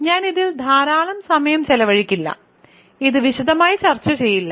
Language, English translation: Malayalam, So, I will not spend a lot of time on this I would not discuss this in detail